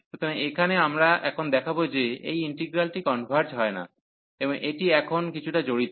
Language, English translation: Bengali, So, here we will show now that this integral does not converge, and this is a bit involved now